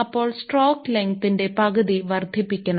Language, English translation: Malayalam, So, it is half at the stroke length should be increased